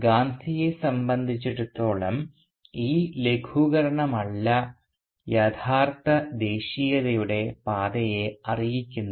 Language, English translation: Malayalam, Rather for Gandhi, it was not this alleviation that informed the true path of nationalism